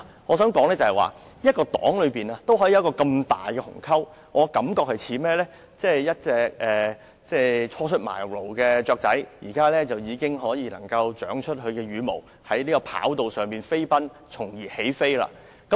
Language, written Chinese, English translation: Cantonese, 我想說的是一個黨派也可以出現如此大的鴻溝，就像一隻初出茅廬的小鳥，現在已長出羽毛，在跑道上飛奔繼而起飛。, I wish to point out that even such a huge divide could emerge within a political party . Like a fledgling bird which is now covered with feathers the Honourable Member was running like mad on the runway before taking off